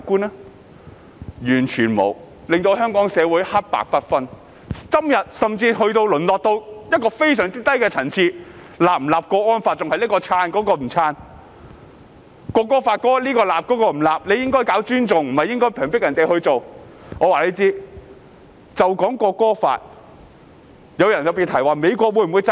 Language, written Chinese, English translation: Cantonese, 他們完全沒有，令香港社會黑白不分，今天甚至淪落至非常低的層次，仍是談誰支持、誰不支持訂立國安法，《條例草案》又是誰支持、誰不支持，說政府應令人自願尊重國歌，而不是強迫人尊重。, Not at all . Because of them Hong Kong society confused black and white and even sunk to such a low - level as to talk about who support the national security law and who do not; who support the Bill and who do not . They said the Government should make people respect the national anthem voluntarily rather than forcing them to do so